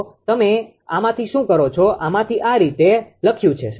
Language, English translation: Gujarati, So, what you from this one, from this one right this is written like this